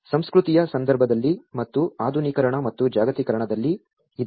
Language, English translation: Kannada, In the context of culture and in the modernization and the globalization